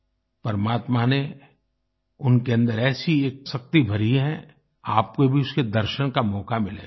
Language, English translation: Hindi, God has instilled within them a certain strength that you will also get a chance to observe and feel